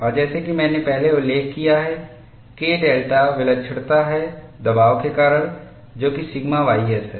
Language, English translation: Hindi, And as I mentioned earlier, K delta is a singularity due to pressure sigma ys